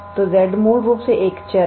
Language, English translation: Hindi, So, z is basically a variable